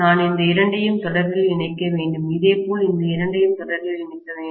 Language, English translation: Tamil, I will have to connect these two in series, similarly I have to connect these two in series